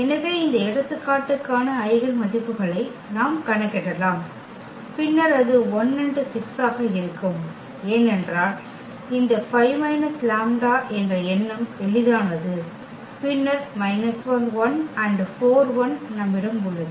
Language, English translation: Tamil, So, we can compute the eigenvalues for this example and then it comes to be 1 and 6, because the idea is simple that this 5 minus lambda and then we have 4 and 1 2 minus lambda